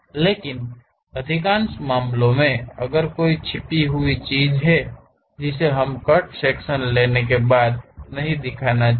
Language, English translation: Hindi, But, most of the cases if there is a hidden thing that we should not show after taking cut section